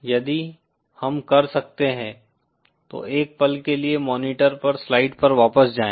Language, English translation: Hindi, If we can, for a moment go back to slides on the monitor